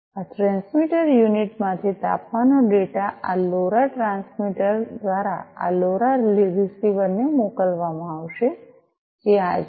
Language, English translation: Gujarati, So, the temperature data from this transmitter unit is going to be sent from through this LoRa transmitter to this LoRa receiver, which is this one